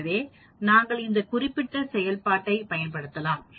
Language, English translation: Tamil, So, we can use this particular function